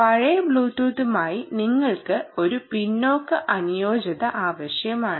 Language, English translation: Malayalam, you wanted backward compatibility to old bluetooth